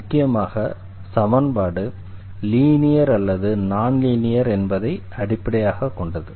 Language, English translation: Tamil, Mainly based on this whether the equation is linear or this is a non linear equation